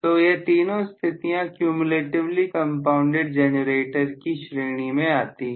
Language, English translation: Hindi, So, these 3 actually are coming under the category of cumulatively compounded generator